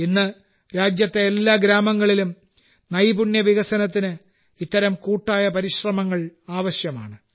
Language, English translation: Malayalam, Today, such collective efforts are needed for skill development in every village of the country